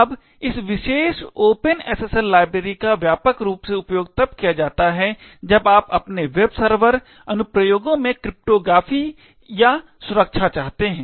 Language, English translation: Hindi, Now this particular open SSL library is widely used essentially when you want cryptography or security in your web server applications